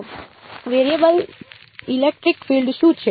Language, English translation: Gujarati, So, what is the variable electric field